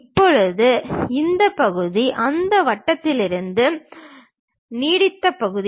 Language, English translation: Tamil, Now, this part is protruded part from that circular one